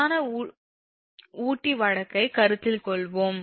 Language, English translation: Tamil, we will consider the main figure case